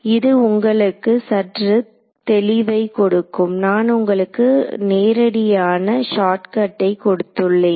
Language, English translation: Tamil, It will give you a little bit more clarity on the thing ok; I have given you the direct shortcut